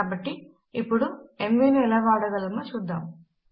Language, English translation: Telugu, So let us quickly see how mv can be used